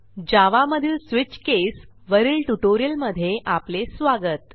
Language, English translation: Marathi, Welcome to the spoken tutorial on Switch case in Java